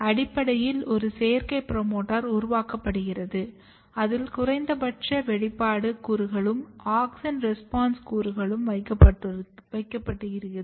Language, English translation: Tamil, So, essentially a synthetic promoter is generated where we have put a basal expression element promoter, basal promoter along with auxin response elements